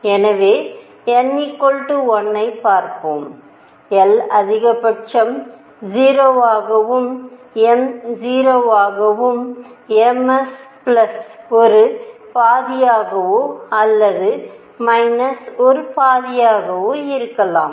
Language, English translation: Tamil, So, let us see n equals 1, l maximum could be 0, m could be 0 and m s could be plus a half or minus a half